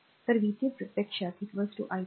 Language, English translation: Marathi, So, v 3 actually is equal to 12 i 3